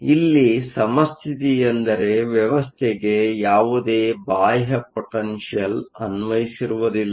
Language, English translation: Kannada, Equilibrium here means there is no external potential applied to the system